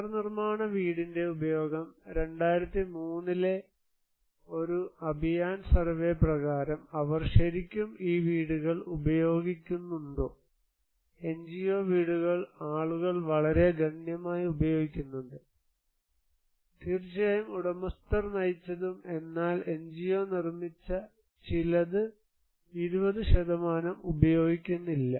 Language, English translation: Malayalam, Use of reconstruction house; are they really using these houses according to a Abhiyan survey in 2003, NGO houses are almost also very significantly people are using, owner driven of course but NGO driven also some people are not using around 20%